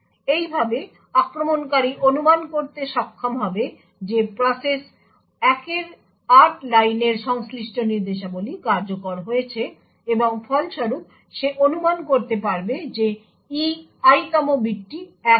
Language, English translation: Bengali, Thus the attacker would be able to infer that the instructions corresponding to line 8 in the process 1 has executed, and as a result he could infer that the E Ith bit happens to be 1